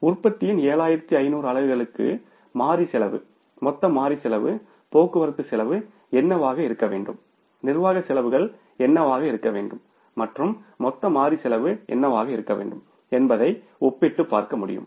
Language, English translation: Tamil, So, we will be able to compare that for the 7,500 units of the production what should be the variable cost, total variable cost, what should be the shipping cost, what should be the administrative expenses and what should be the total variable cost